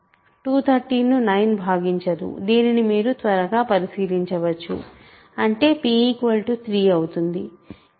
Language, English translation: Telugu, So, 9 does not divide 213 you can quickly check that means, p equal to 3 satisfies this